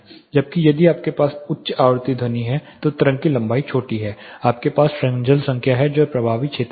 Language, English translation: Hindi, Whereas, if you have a frequency sound the wave length is smaller you have the Fresnel number which is in the effective zone